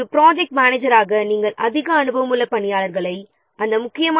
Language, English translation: Tamil, So, as a project manager, you should allocate more experienced personnel to those critical activities